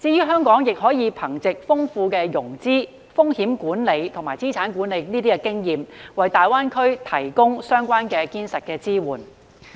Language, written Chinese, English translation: Cantonese, 香港亦可以憑藉豐富的融資、風險管埋及資產管理經驗，為大灣區提供堅實支援。, Also Hong Kong can provide solid support to GBA with its rich experience in financing risk management and asset management